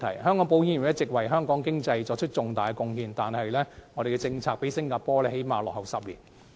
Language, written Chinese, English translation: Cantonese, 香港保險業一直為香港經濟作出重大貢獻，但我們的政策較新加坡落後了最少10年。, The insurance industry has been making signification contribution to Hong Kongs economy . However our policy is at least 10 years behind Singapore